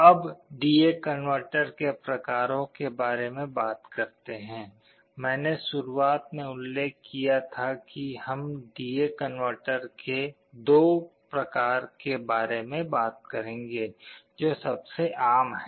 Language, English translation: Hindi, Now, talking about the types of D/A convertor, I had mentioned in the beginning that we shall be talking about 2 types of D/A converter that is most common